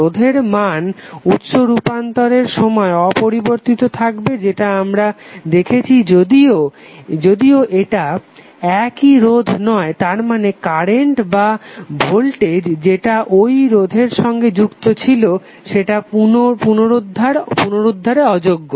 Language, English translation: Bengali, The resistor value does not change during the source transformation this is what we have seen however it is not the same resistor that means that, the current of voltage which are associated with the original resistor are irretrievably lost